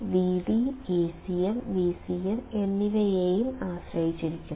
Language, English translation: Malayalam, Vd will also depend on A cm and V cm